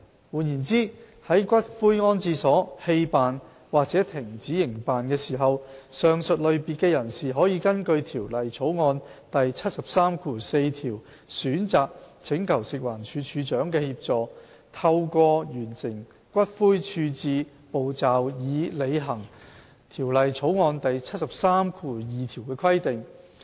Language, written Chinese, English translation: Cantonese, 換言之，在骨灰安置所棄辦或停止營辦時，上述類別的人士可根據《條例草案》第734條選擇請求食環署署長的協助，透過完成骨灰處置步驟以履行《條例草案》第732條的規定。, In other words when the columbarium has been abandoned or has ceased operation persons in the aforementioned categories may seek assistance from the Director of Food and Environmental Hygiene in accordance with clause 734 of the Bill and complete the ash disposal procedures in order to fulfil the requirement of clause 732 of the Bill